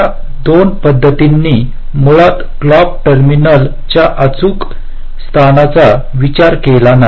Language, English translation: Marathi, ok, these two methods basically did not consider the exact location of the clock terminals